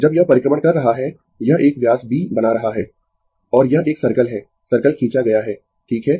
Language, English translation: Hindi, When it is revolving, it is making a diameter your B and this is a circle, circle is drawn, right